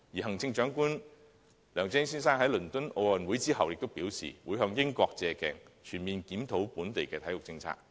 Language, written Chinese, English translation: Cantonese, 行政長官梁振英先生亦在倫敦奧運會結束後表示會借鏡英國，全面檢討本地體育政策。, After the conclusion of the London Olympics Chief Executive LEUNG Chun - ying also indicated that the British experience would be borrowed and a comprehensive review of the local sports policy would be conducted